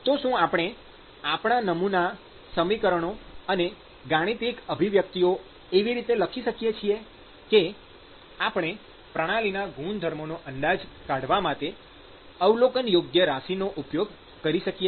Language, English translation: Gujarati, So, can use can we write our model equations and can we write our mathematical expression in such a way that we are able to use the observable parameters or observable quantities in order to estimate the properties of the system